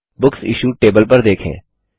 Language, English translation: Hindi, Let us look at the Books Issued table